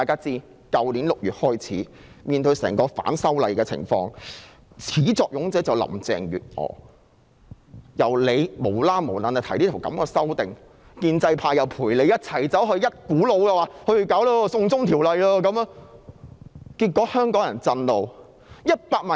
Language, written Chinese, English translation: Cantonese, 自去年6月起的整場反修例運動的始作俑者就是林鄭月娥，她無故提出修訂，而建制派又附和她，一股腦兒說要推出"送中條例"，結果令香港人震怒。, The perpetuator of the entire movement of opposition to the proposed legislative amendments since June last year is Carrie LAM . She proposed the legislative amendments for no reason and the pro - establishment camp parroted her . Together they pushed forward the extradition bill leaving Hong Kong people in a fury